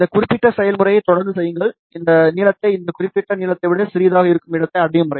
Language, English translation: Tamil, Keep doing this particular process, till we reach to a point, where this length is smaller than this particular length over here